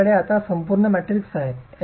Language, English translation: Marathi, I have an entire matrix now